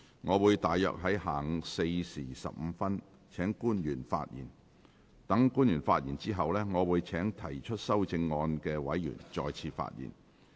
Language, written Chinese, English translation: Cantonese, 我會約於下午4時15分請官員發言。待官員發言後，我會請提出修正案的委員再次發言。, I will invite public officers to speak at around 4col15 pm to be followed by Members who have proposed the amendments to speak again